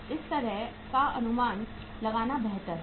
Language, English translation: Hindi, So estimation of it is better to write like this